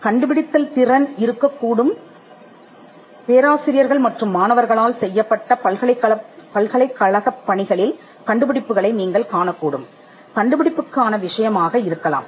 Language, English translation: Tamil, Could be inventive, you could find them in university works done by professors and students, could be subject matter of invention